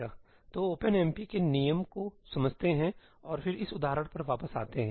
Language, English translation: Hindi, let us understand the rules of OpenMP and then come back to this example